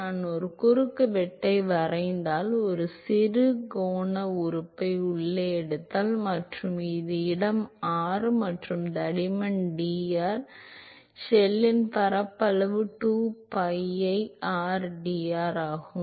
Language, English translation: Tamil, If I draw a cross section an if I take a small angular element inside and if this is location r and this thickness is dr the area of the shell is 2 pi rdr